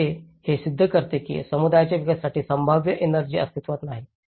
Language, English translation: Marathi, Although, which proves that the potential energy for developing the community does exist